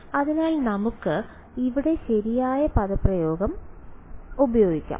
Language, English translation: Malayalam, So, let us use the correct expression of here